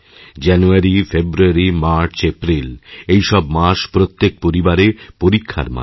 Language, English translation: Bengali, January, February, March, April all these are for every family, months of most severe test